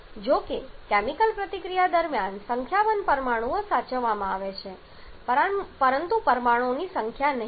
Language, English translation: Gujarati, How about during chemical reaction a number of atoms are conserved but not the number of molecules